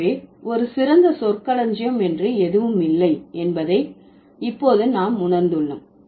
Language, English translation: Tamil, So, now we realize the, there is nothing called an ideal vocabulary